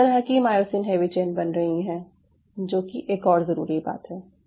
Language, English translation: Hindi, so myosin heavy chain identification: what kind of myosin heavy chain is being formed